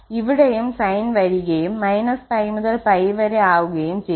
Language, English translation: Malayalam, And then this value is coming to be pi, how pi